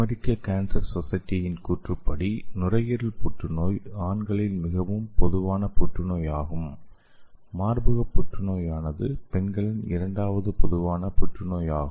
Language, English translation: Tamil, So according to American cancer society the lung cancer is the most common cancer in male and breast cancer is the second most common cancer in the female